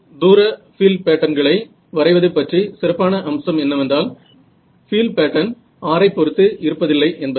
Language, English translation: Tamil, Then, I mean the other sort of nice thing about visualizing far field patterns is that this field pattern here does not depend on r